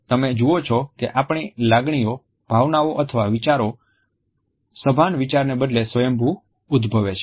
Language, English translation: Gujarati, You see emotions our feelings or thoughts that arise spontaneously instead of conscious thought